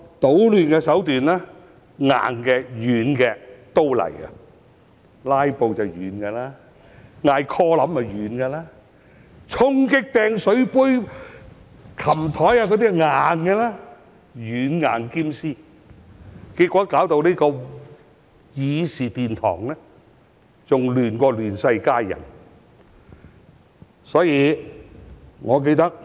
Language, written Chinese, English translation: Cantonese, 搗亂的手段硬的、軟的都有，"拉布"是軟的，要求點 quorum 是軟的，衝擊主席台、擲水杯、爬上桌子那些是硬的，他們"軟硬兼施"，結果導致議事殿堂比"亂世佳人"更亂。, Filibustering was a soft tactic and so was requesting quorum calls . Charging at the Presidents podium hurling drinking glasses climbing onto desks were their hard tactics . Their combined use of hard and soft tactics has ended up making this Chamber a three - ring circus